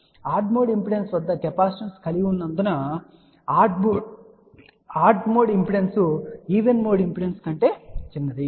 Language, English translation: Telugu, So, since odd mode impedance has larger capacitance odd mode impedance in general is smaller than the even mode impedance